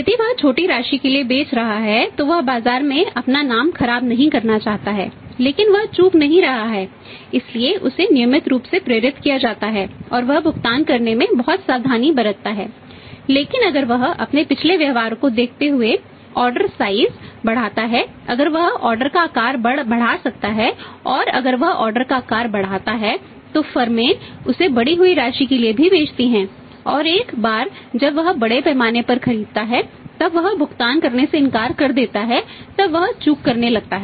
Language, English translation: Hindi, If he selling for a smaller amount he do not to spoil is name in the marker so he is not defaulting so he regular so he prompt and he is very careful in making the payment but if he increase the order size looking at his past behaviour if he can increase the order size and if he increase the order size and firms sell him for the increased amount also and once he buys at a larger scale and then he refuses to make the payment and if he starts defaulting